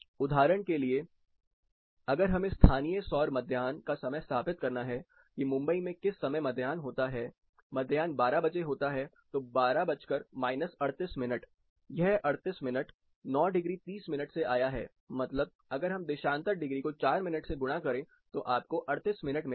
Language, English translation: Hindi, (Refer Slide Time: 17:10) For example, if I have to establish; what is a local solar noon, what time the local noon occurs in Mumbai, noon is 12 o'clock minus 38 minutes, this 38 comes from this 9 degree 30 minutes, if you multiply that for every longitude degree, it is 4 minutes